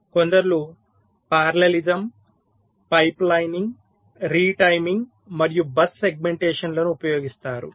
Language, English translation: Telugu, some of them use parallelism, pipe lining, retiming and something called bus segmentation